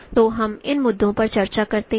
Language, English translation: Hindi, So, let us discuss this issue